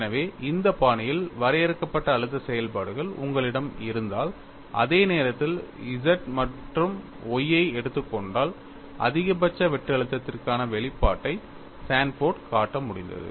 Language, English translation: Tamil, So, if you have the stress functions defined in this fashion, and also simultaneously taking Z as well as Y, Sanford was able to show the expression for maximum shear stress, turns out to be like this